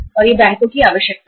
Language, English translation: Hindi, And this is the requirement of the banks